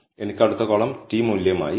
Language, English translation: Malayalam, I have the next column as t value